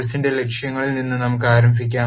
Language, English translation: Malayalam, Let us start with the objectives of the course